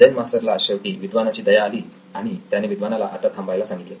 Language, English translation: Marathi, Zen Master finally took pity on scholar and said now you may stop